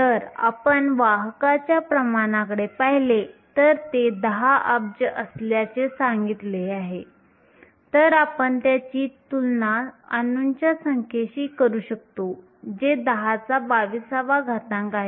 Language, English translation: Marathi, If you looked at the carrier concentration and said that was 10 billion, you can compare it to the number of atoms which is 10 to the 22